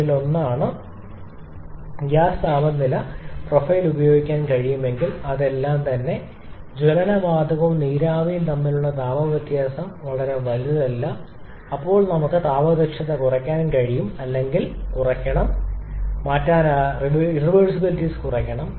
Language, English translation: Malayalam, If we can use a gas temperature profile something like this, that is in all cases the temperature difference between the combustion gas and the steam is not very large then probably we can reduce the thermal efficiency or I should say reduce the irreversibilities